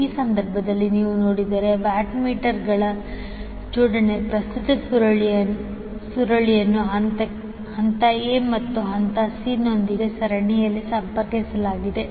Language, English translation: Kannada, In this case if you see the arrangement of watt meters the current coil is connected in series with the phase a and phase c